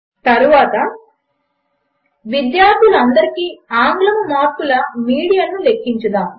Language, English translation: Telugu, Next, let us calculate the median of English marks for the all the students